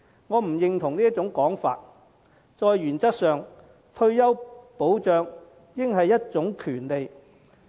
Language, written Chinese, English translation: Cantonese, 我不認同這種說法，因為退休保障原則上應是一種權利。, I do not subscribe to this view because retirement protection should be a right in principle